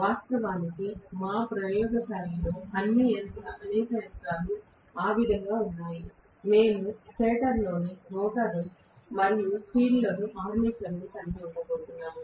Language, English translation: Telugu, In fact, many of the machines in our laboratory are that way, we are going to have the armature in the rotor and field in the stator, right